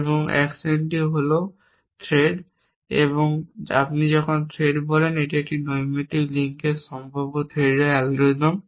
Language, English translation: Bengali, And action is threat and when you say threat it algorithms potential threat to a casual link